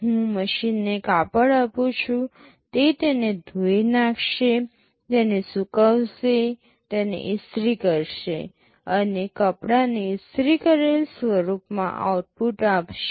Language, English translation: Gujarati, I give the machine a cloth, it will wash it, dry it, iron it, and output that cloth in the ironed form